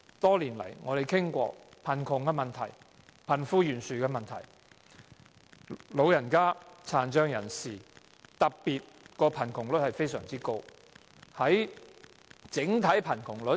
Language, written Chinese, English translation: Cantonese, 多年來，我們不斷討論貧窮問題、貧富懸殊的問題，特別是長者和殘障人士的貧窮率非常高。, Over the years we have been discussing the issue of poverty and the disparity between the rich and the poor especially the high poverty rate of the elderly and the disabled